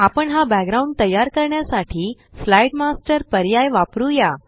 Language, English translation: Marathi, We shall use the Slide Master option to create this background